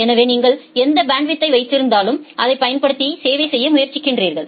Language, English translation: Tamil, So, whatever bandwidth you have you try to serve using that